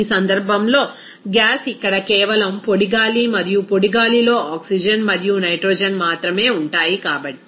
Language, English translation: Telugu, In this case, since gas is here simply dry air and dry air contains that oxygen and nitrogen only